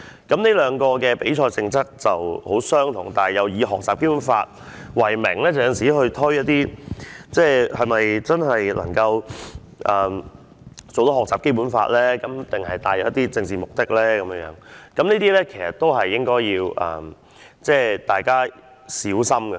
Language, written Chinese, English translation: Cantonese, 這兩個比賽的性質十分相近，均以學習《基本法》為名舉行比賽，但是否真的鼓勵學習《基本法》的知識，還是帶有政治目的，大家都應該要小心。, The nature of these two competitions is very similar and they are competitions organized in the name of learning the Basic Law . Nevertheless we should be careful about whether they are really encouraging the study of the Basic Law or they are for political ends